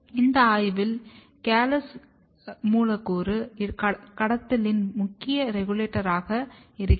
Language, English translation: Tamil, In this study callose was found to be a major regulator of molecular trafficking